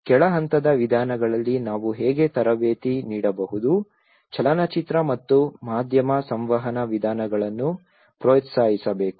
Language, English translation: Kannada, How we can train at the bottom level approaches also the film and media communication methods should be encouraged